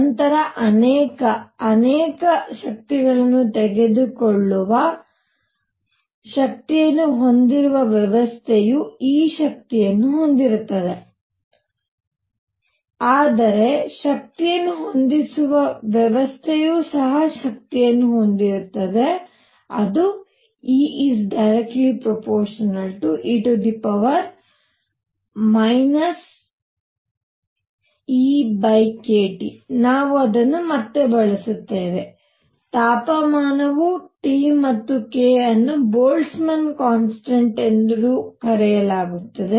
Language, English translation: Kannada, Then the probability that a system that can take many, many energies, but has energy E has energy E is proportional to e raised to minus E over k T, we will use it again, temperature is T and k is known as Boltzmann constant all right